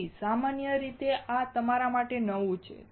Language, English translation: Gujarati, So, commonly this is also new you